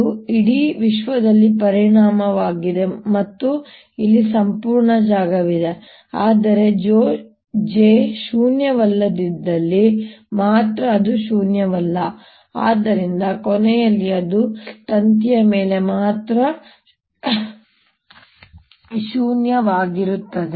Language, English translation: Kannada, this is volume over the entire universe or entire space here, but is non zero only where j is non zero and therefore in the end it becomes non zero only over the wire